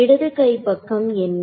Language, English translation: Tamil, So, what is the left hand side